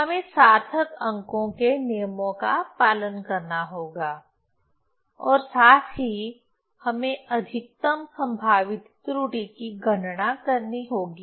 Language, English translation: Hindi, So, we have to follow the rules of significant figures as well as we have to calculate the maximum probable error